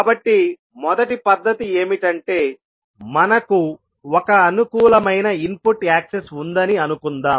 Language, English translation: Telugu, So, first method is that let us assume that the, we have one convenient input access